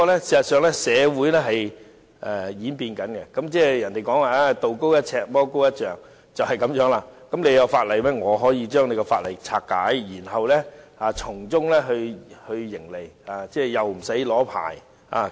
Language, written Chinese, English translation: Cantonese, 事實上，社會不斷演變，俗語所謂"道高一尺，魔高一丈"，你有法例規管，我可以將法例拆解，然後從中營利，又不需要申請牌照。, As a matter of fact society has been constantly changing . As a Chinese saying goes when virtue rises one foot vice rises ten . When you lay down a law to regulate something I find a way to bypass it go on making my profits without even the need to apply for a licence